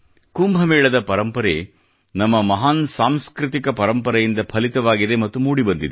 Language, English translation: Kannada, The tradition of Kumbh has bloomed and flourished as part of our great cultural heritage